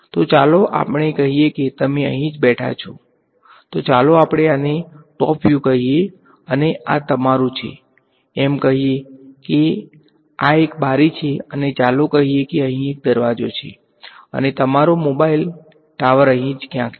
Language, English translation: Gujarati, So, let us say you are sitting over here right, so this let us call this a top view and this is your let say this is a window and let us say there is a door over here and your mobile tower is somewhere over here right which is sending out signals everywhere